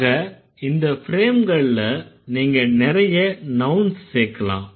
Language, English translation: Tamil, So, in this frame you can add a lot of things